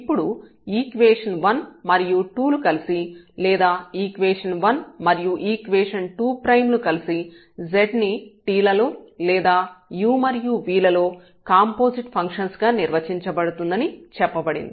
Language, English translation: Telugu, Then the equations here 1 and this 2 together or 1 with this 2 prime together are said to be to define z as composite function of t or in this case composite function of u and v